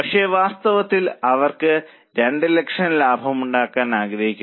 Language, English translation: Malayalam, But in reality, they want to make a profit of 2 lakhs